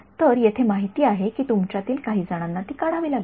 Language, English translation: Marathi, So, the information is there some of you have to pull it out